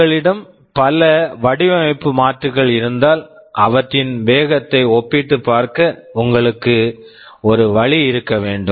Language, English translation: Tamil, And if you have several design alternatives, you should have a way to compare their speeds